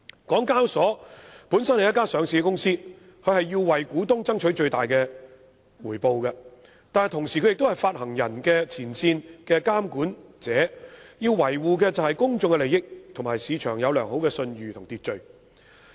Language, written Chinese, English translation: Cantonese, 港交所本身是一間上市公司，要為股東爭取最大回報，但同時又是發行人的前線監管者，要維護公眾利益，以及市場要有良好信譽和秩序。, As a listed company HKEx should strive for greatest profits for its shareholders . But at the same time HKEx as the frontline regulator of issuers should safeguard public interest and maintain the good reputation and order of the market